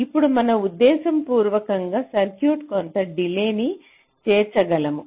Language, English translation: Telugu, that can we deliberately insert some delay in the circuit